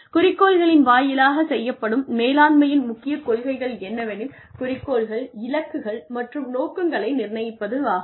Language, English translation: Tamil, The key principles of management by objectives are, setting of objectives, goals, and targets